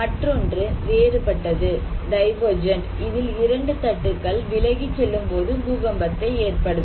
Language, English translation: Tamil, And another one is the divergent one, when two plates are moving apart, this can also cause earthquake